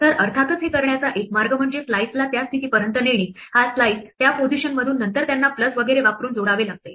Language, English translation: Marathi, So one way to do this of course, is to take the slice up to that position this slice from that position then glue them together using plus and so on